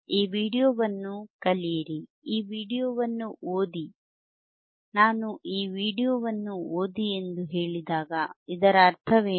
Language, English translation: Kannada, lLearn this video, read this video, when I say read this video what does that mean,